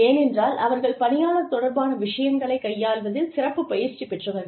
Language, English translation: Tamil, Because, they are specially trained in dealing with, people related matters